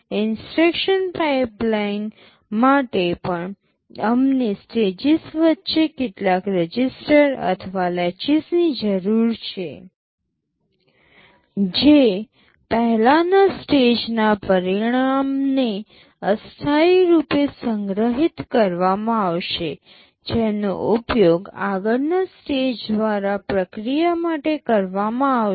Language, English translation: Gujarati, For a instruction pipeline also we need some registers or latches in between the stages, which will be temporary storing the result of the previous stage, which will be used by the next stage for processing